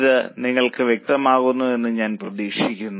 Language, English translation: Malayalam, I hope it is getting clear to you